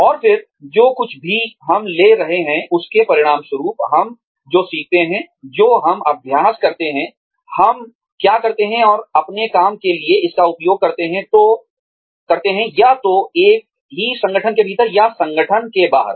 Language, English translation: Hindi, And then, taking whatever, we become, as a result of, what we learn, what we practice, what we do, and using it for our work lives, either within the same organization, or outside the organization